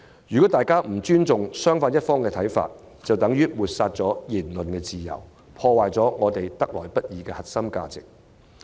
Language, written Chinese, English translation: Cantonese, 如大家不尊重對方的看法，便等於抹煞言論自由，破壞我們得來不易的核心價值。, A lack of respect for opposing viewpoints is essentially a scorn against free speech and a blow to our hard - fought core values